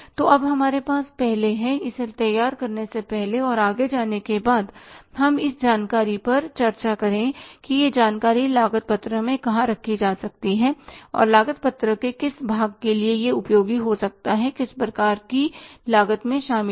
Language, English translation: Hindi, So now we have first before say preparing it and going forward let us discuss this information that where this information could be put into the cost sheet and which part of the cost sheet it can be useful to say include in the which type of the cost